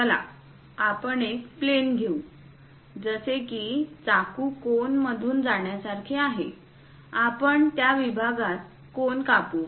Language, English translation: Marathi, Let us take a plane, is more like taking a knife passing through cone; we can cut the cone perhaps at that section